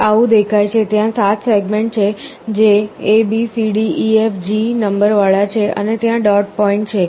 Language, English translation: Gujarati, This is how it looks like, there are 7 segments that are numbered A B C D E F G and there is a dot point